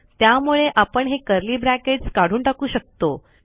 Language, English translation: Marathi, I can get rid of these curly brackets